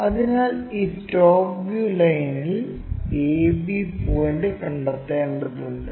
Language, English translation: Malayalam, So, we have to locate a b point on this top view line